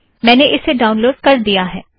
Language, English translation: Hindi, I have already downloaded it here